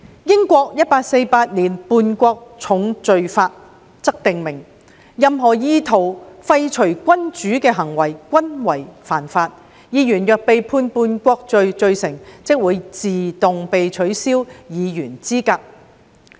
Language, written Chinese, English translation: Cantonese, 英國《1848年叛國重罪法》則訂明，任何意圖廢黜君主的行為均為犯罪，議員若被判叛國罪罪成，即會自動被取消議員資格。, The Treason Felony Act 1848 of UK makes it an offence to do any act with the intention of deposing the Monarchy . A Member convicted of committing treason will be disqualified automatically